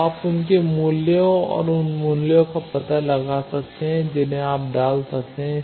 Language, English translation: Hindi, So, you can find out their values and those values you can put